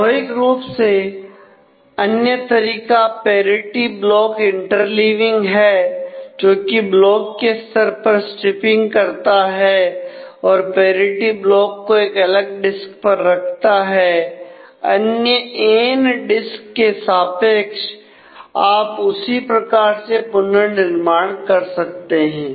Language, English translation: Hindi, So, the other is naturally block inter leaving of the parity which uses block level striping and keeps a parity block on a separate disk for corresponding blocks from n other disks and you can reconstruct in a very similar manner